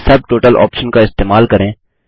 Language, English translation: Hindi, Use the Subtotal option